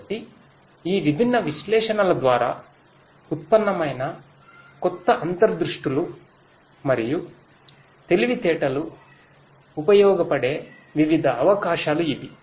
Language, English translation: Telugu, So, these are the different possibilities where the new insights and intelligence that are derived through these different analytics could be made useful